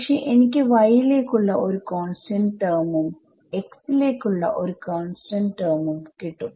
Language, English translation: Malayalam, So, I will not get a x; x y term but I will get a constant term x into y